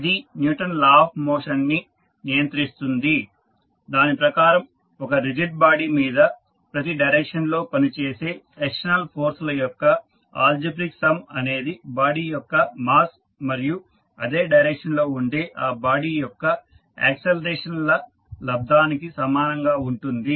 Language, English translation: Telugu, So, it governs the Newton’s law of motion which states that the algebraic sum of external forces acting on a rigid body in a given direction is equal to the product of the mass of the body and its acceleration in the same direction